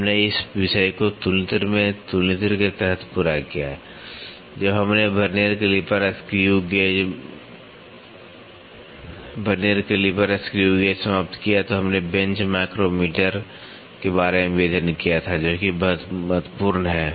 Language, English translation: Hindi, We covered this topic under the comparator in comparator, when we finished vernier calliper screw gauge we also studied about the bench micrometer which is very important